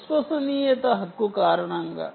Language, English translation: Telugu, because of reliability, right